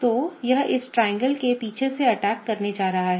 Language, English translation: Hindi, So, it is going to attack from the backside of this triangle